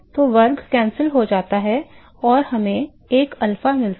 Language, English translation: Hindi, So, the square cancels of and we get an alpha